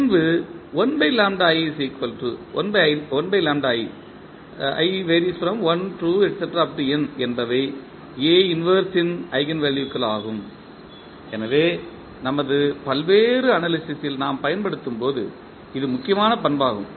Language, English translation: Tamil, So, this is important property when we use in our various analysis